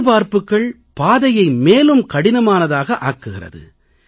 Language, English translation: Tamil, Expectations make the path difficult